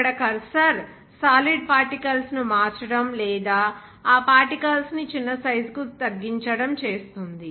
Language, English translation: Telugu, There the cursor solid particles to be converted or reduced to the smaller size of those particles